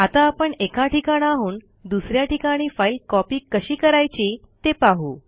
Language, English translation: Marathi, Let us see how to copy a file from one place to another